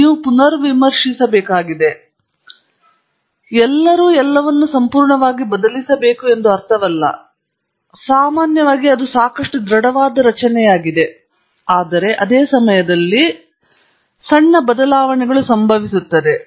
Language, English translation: Kannada, You have to rethink, it does’nt mean you have to completely change everything; normally it’s a fairly robust structure, but at the same time, there will be minor changes that occur